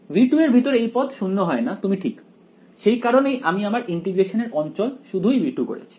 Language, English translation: Bengali, Inside v 2 this term does not go to 0 you are right this that is why we have made the region of integration only v 2 ok